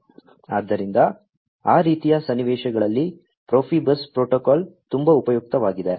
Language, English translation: Kannada, So, Profibus protocol is very much useful, in those kind of scenarios